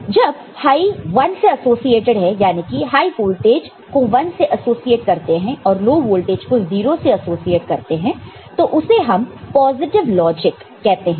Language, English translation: Hindi, So, when high is associated with 1, high voltage is associated with 1, and low voltage associated with 0, we say that what we are following is called is positive logic